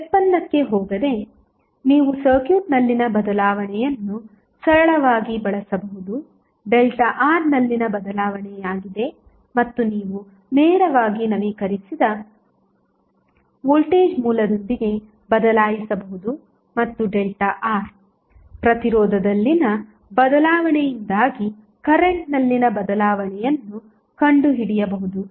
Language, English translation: Kannada, So, without going into the derivation, you can simply use the change in the circuit that is the change in delta R and you can replace directly with the updated voltage source and find out the change in current because of change in resistance delta R